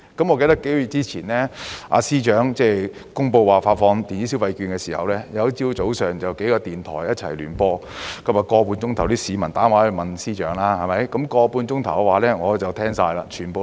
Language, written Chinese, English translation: Cantonese, 我記得幾個月前，司長公布發放電子消費券的時候，有一個早上，幾個電台一起聯播一個節目，長 1.5 小時，市民打電話到電台向司長提問。, I remember a few months ago when the Financial Secretary announced the disbursement of electronic consumption vouchers several radio stations jointly broadcast a 1.5 - hour morning programme in which members of the public called the radio stations to ask the Financial Secretary questions